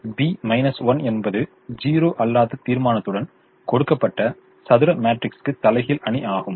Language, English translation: Tamil, now, b inverse is inverse matrix for a given square matrix with a non zero determinant